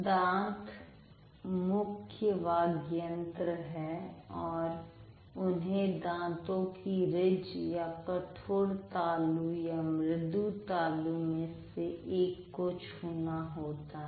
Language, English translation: Hindi, So, the teeth are the primary speech organs and they have to touch either the teeth ridge or the heart palate or soft palate